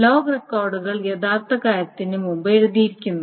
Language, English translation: Malayalam, So the log records are written before the actual thing